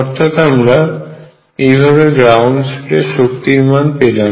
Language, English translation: Bengali, So, we found that this is the ground state energy